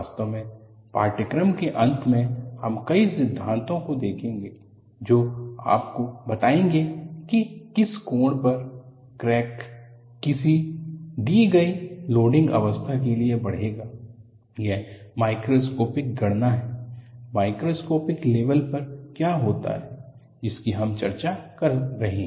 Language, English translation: Hindi, In fact, towards the end of the course, we would look at several theories, which would give you, at what angle, the crack will propagate for a given loading condition that is the macroscopic calculation; at a microscopic level, what happens is, what we are discussing